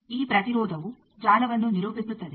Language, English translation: Kannada, This impedance characterizes a network